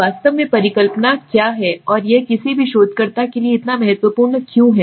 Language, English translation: Hindi, So what exactly is in hypothesis and why it is so important for any researcher